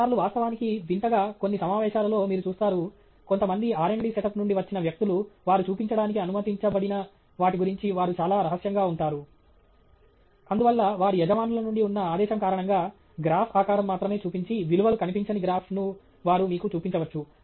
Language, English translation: Telugu, Sometimes, in fact, strangely enough, in some conferences you will see, people who come from a may be some R and D setup or where they are very secretive about what they are allowed to show, and therefore, because the constraint from by the their employers, they may show you a graph where only the shape of the graph is visible, no values are visible